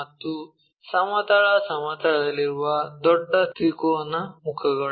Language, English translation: Kannada, And the larger triangular faces that is on horizontal plane